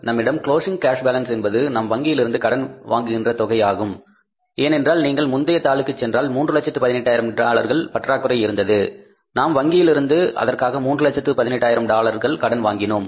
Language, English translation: Tamil, The closing cash balance with us is we are borrowing from the bank because if you go to the previous sheet we had a shortfall of $318,000, we went to the bank, we borrowed from the bank $318,000